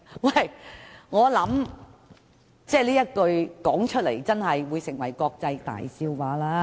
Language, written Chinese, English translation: Cantonese, 我認為這句話只會成為國際大笑話。, I think such a remark will only become an international joke